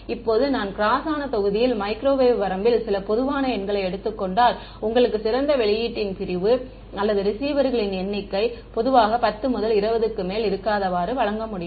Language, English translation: Tamil, Now, I can give you some typical numbers in the microwave range if I take of cross section of best issue or something the number of receivers is usually no more than 10 to 20